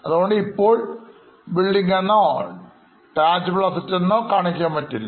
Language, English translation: Malayalam, So, as of now, I cannot show it as a building or as a tangible asset